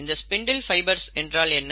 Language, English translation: Tamil, How are the spindle fibres made